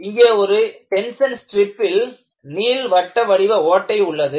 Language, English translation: Tamil, So, what you have here is, in a tension strip you have an elliptical hole